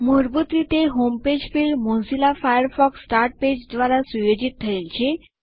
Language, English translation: Gujarati, By default, the Home page field is set to Mozilla Firefox Start Page